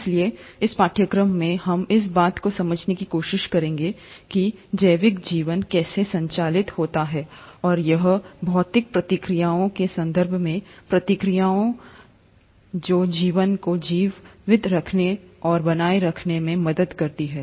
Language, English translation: Hindi, Hence, in this course, we’ll try to understand the logics of how a biological life is governed, and what is it in terms of reactions, in terms of physical entities, which help a life to survive and sustain